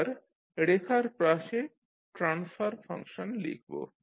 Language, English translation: Bengali, Now adjacent to line we write the transfer function